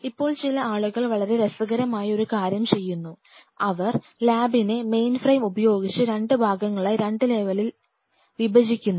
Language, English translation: Malayalam, Now some people what they do they do something very interesting they kind of you know split the lab into 2 parts like with the mainframe like this at 2 level